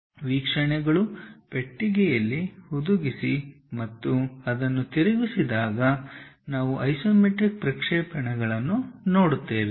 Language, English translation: Kannada, Where the views are embedded in a box and try to rotate so that, we will see isometric projections